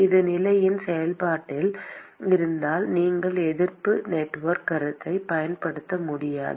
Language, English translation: Tamil, If it is a function of position, you cannot use the resistance network concept